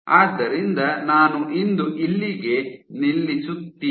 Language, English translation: Kannada, So, I will stop here for today